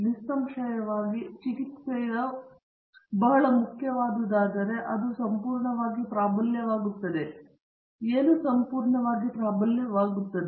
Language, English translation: Kannada, Obviously, if a treatment is very important then it will completely dominate, what will completely dominate